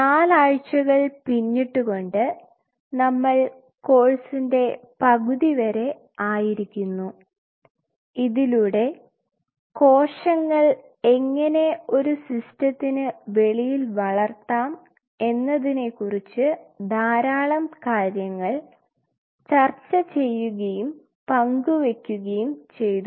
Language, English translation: Malayalam, We have finished 4 weeks halfway through the course and there are quite a lot we have discussed and shared regarding how to grow the cells outside the system